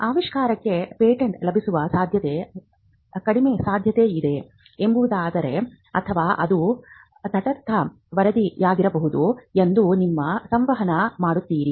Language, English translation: Kannada, So, you communicate that there is a possibility that the invention may not be granted, or it could be a neutral report